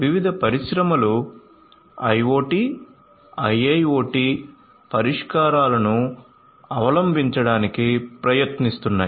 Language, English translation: Telugu, So, different industries are trying to adopt IoT, IIoT solutions